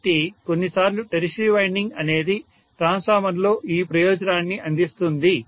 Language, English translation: Telugu, So sometimes the tertiary winding serves this purpose in a transformer